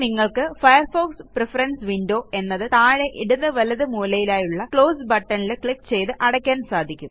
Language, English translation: Malayalam, Now you can close Firefox Preference window by clicking the Close button on the bottom right hand corner